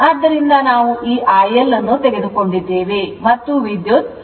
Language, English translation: Kannada, So, we have taken this IL and this is your 43